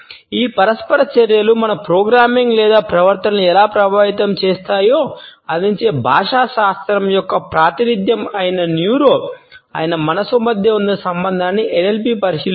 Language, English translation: Telugu, NLP delves into the relationship between the mind that is the neuro, the language which is the representation of linguistics offering how these interactions impact our programming or behaviour